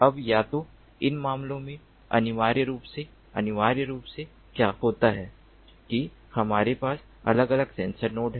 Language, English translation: Hindi, now what essentially i in either of these cases, what essentially happens is we have different sensor nodes